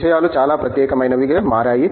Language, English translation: Telugu, Things have become very, very special